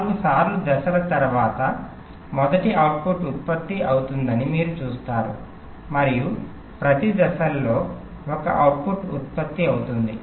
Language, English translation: Telugu, you see, after four times steps, the first output is generated and after that, in every time steps, one output will get generated